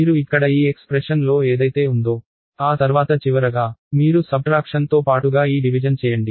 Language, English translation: Telugu, So, you will do a plus that whatever is in this expression here then finally, you do this division followed by the subtraction